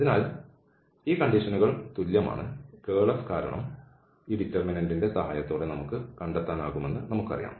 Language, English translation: Malayalam, So, these conditions are equivalent, because this curl F, we know that we can find with the help of this determinant